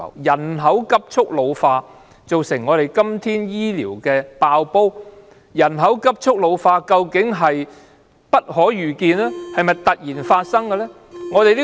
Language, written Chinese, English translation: Cantonese, 人口急速老化造成醫療"爆煲"，人口急速老化，究竟是否不可遇見、突然發生呢？, Is the rapidly ageing population which has led to an overloaded health care system something unpredictable or something that happens all of a sudden?